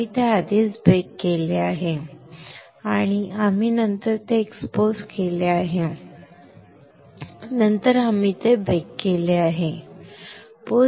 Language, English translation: Marathi, We have pre baked it then we have exposed it, then we have post bake it